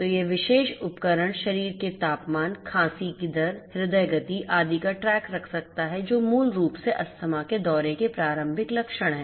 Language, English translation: Hindi, So, this particular device can keep track of the body temperature, coughing rate, heart rate etcetera which are basically you know preliminary symptoms of an asthma attack